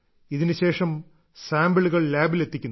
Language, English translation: Malayalam, After that the sample reaches the lab